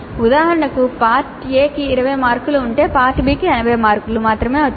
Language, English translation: Telugu, This is one example part A is for 20 marks, part B is for 80 marks so each question in part B is thus for 16 marks